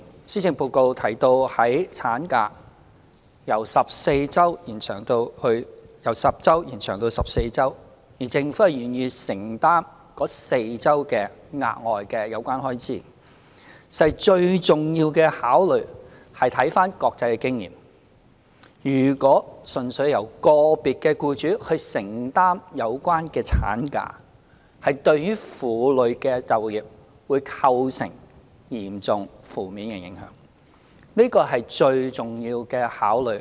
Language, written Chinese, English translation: Cantonese, 施政報告提到將法定產假由10星期延長至14星期，政府會承擔該4星期的額外薪酬開支，最重要的考慮是由國際經驗看到，如果純粹由個別僱主承擔有關產假薪酬，對於婦女的就業會構成嚴重負面的影響，這個是最重要的考慮。, The Policy Address proposes to extend statutory maternity leave from 10 weeks to 14 weeks and the Government will bear the additional payment of the extra four weeks leave . The most important consideration is that as evident from international experiences if the additional maternity leave payment is solely undertaken by individual employers there will be significant negative impacts on the employment of female employees